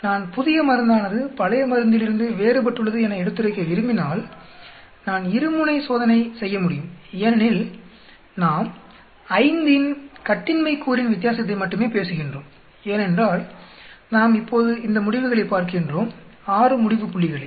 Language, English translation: Tamil, If I want to show that new drug is different from the old drug, I can do a two tailed test because we are talking about only difference with the degree of freedom of 5 because we are looking at only this data now 6 data points